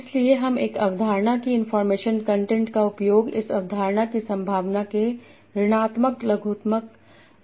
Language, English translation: Hindi, So I use the information content of a concept as a minus logarithm of the probability of that concept